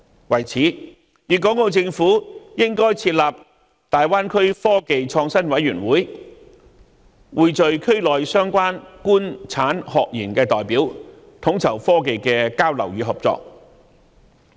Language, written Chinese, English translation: Cantonese, 為此，粵港澳政府應該設立大灣區科技創新委員會，匯聚區內相關"官產學研"的代表，統籌科技的交流與合作。, To this end the Guangdong Hong Kong and Macao Governments should set up a committee on technology and innovation for the Greater Bay Area to pool representatives from the Governments industry academia and research sector in the region and coordinate their exchange and cooperation in technology